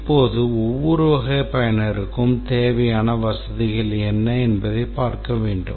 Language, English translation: Tamil, Now, then we have to look at what are the facilities required by each type of user